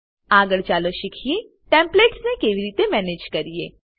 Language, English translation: Gujarati, Next, lets learn how to manage Templates